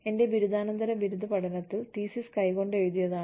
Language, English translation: Malayalam, My master's thesis was handwritten